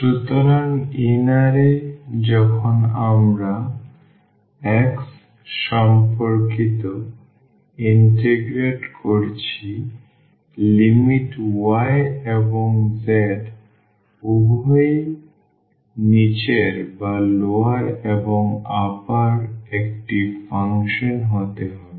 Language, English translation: Bengali, So, the inner one when we are integrating with respect to x the limits can be the function of y and z both the limits are lower and the upper one